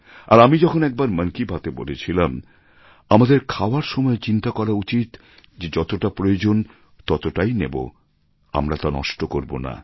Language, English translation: Bengali, And, in one episode of Mann Ki Baat I had said that while having our food, we must also be conscious of consuming only as much as we need and see to it that there is no wastage